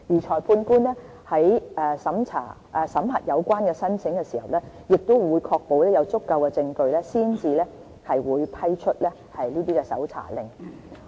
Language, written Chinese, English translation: Cantonese, 裁判官在審核有關申請時，亦會確保有足夠證據才會批出搜查令。, Likewise when considering the application the magistrate will have to ensure that the evidence can justify the issuance of a search warrant